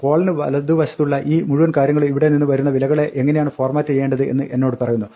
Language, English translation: Malayalam, 2f, this whole thing to the right of the colon tells me how to format the values comes from here